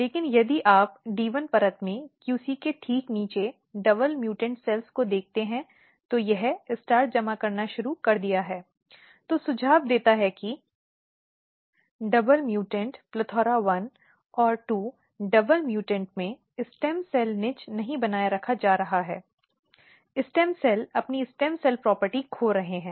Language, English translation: Hindi, But if you look the double mutant the cells just below the QC in the D 1 layer, it has started accumulating starch, which suggest that in double mutant plethora1 and 2 double mutants the stem cell niche is not getting maintained stem cells are losing their stem cell property